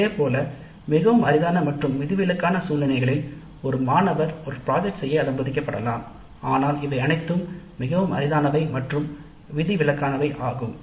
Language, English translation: Tamil, Similarly in a very rare and exceptional situations, a single student may be allowed to do a project but these are all very rare and exceptional